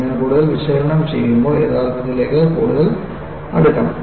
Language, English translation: Malayalam, When you do more analysis, I should also go closer to reality